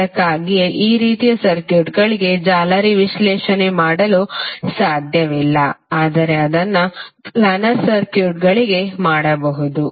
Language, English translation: Kannada, So that is why the mesh analysis cannot be done for this type of circuits but it can be done for planar circuits